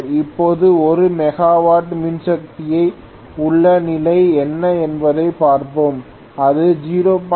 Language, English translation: Tamil, Now let us try to look at what is the condition at 1 megawatt power and this is also given 0